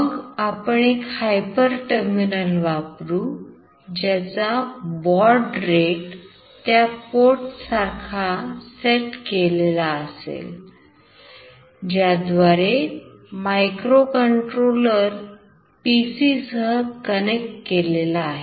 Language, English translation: Marathi, Then we will use one hyper terminal, which we will set with the same baud rate with the port through which the microcontroller is connected with the PC